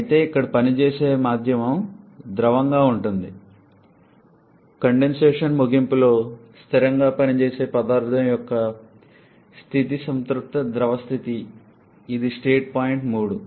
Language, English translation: Telugu, However here the working medium is liquid, at the end of condensation invariably the state of the working substance is that of saturated liquid that is the state point 3